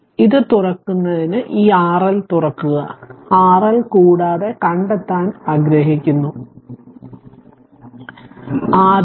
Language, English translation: Malayalam, So, to get this open this R L open it R L and we want to find out R L first